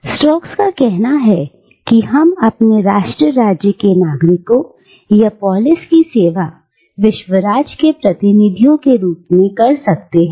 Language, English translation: Hindi, The Stoics said that, we can serve the citizens of our own nation state or polis as representatives of that world state